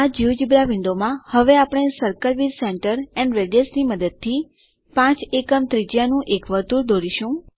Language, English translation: Gujarati, In this geogebra window now we will draw a circle of radius 5 units using the circle with centre and radius